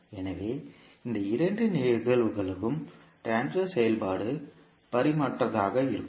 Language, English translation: Tamil, So, for these two cases the transfer function will be dimensionless